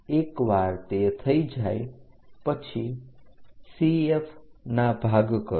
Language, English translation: Gujarati, Once it is done, divide CF